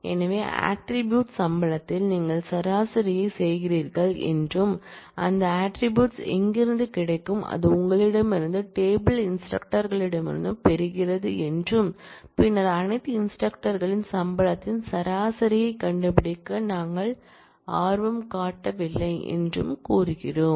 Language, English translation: Tamil, So, it says you do average on the attribute salary and where do you get that attribute, from you get it from the table instructor and then we are saying that we are not interested to find average of salary of all instructors